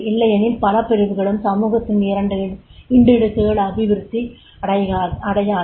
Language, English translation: Tamil, Otherwise, many segments and the pockets of the society that will not be developed